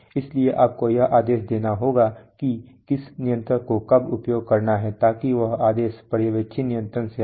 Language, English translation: Hindi, So you must give commands as to which controller to use when, so that command comes from the supervisory controller